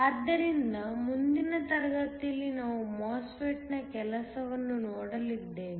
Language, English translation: Kannada, So, In a next class, we are going to look at the working of a MOSFET